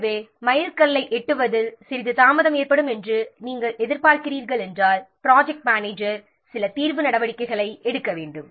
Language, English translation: Tamil, So, if you are expecting that there will be a some delay in reaching the milestone, then the project manager has to take some remedial action